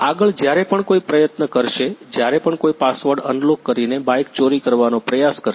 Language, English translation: Gujarati, Next thing is whenever someone will try to; whenever someone will try to steal the bike using unlocking the password